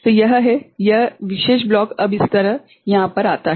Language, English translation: Hindi, So, this is this particular block now comes over here like this right